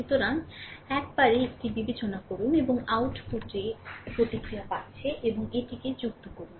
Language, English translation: Bengali, So, consider one at a time and output response you are getting and add this one